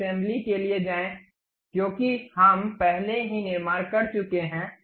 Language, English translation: Hindi, Now, go for assembly, because parts we have already constructed